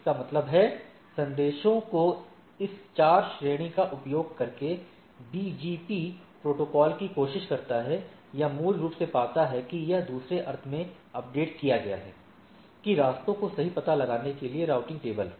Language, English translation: Hindi, So, that means, using this 4 category of messages BGP protocol tries or basically finds that the or in other sense update that routing table to find out the paths right